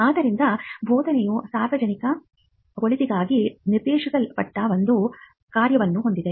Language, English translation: Kannada, So, teaching had a function that was directed towards the good of the public